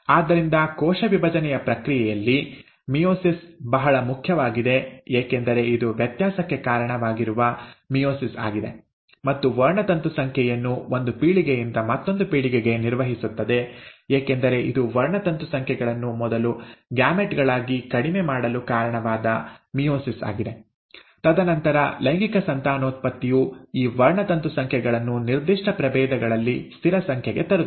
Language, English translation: Kannada, So, meiosis is very important in the process of cell division because it is meiosis which is responsible for variation, and for maintaining the chromosome number from one generation to another, because it is meiosis which is responsible for, for first reducing the chromosome numbers into the gametes, and then its the sexual reproduction which brings back these chromosome numbers to the constant number for a given species